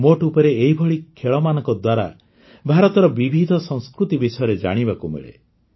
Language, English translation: Odia, After all, through games like these, one comes to know about the diverse cultures of India